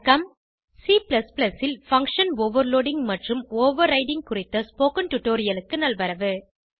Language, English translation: Tamil, Welcome to the spoken tutorial on function Overloading and Overriding in C++